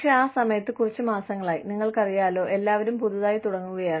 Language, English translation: Malayalam, But, at that time, for a few months, you know, everybody is starting afresh